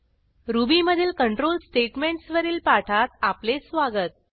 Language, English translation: Marathi, Welcome to the spoken tutorial on Control Statements in Ruby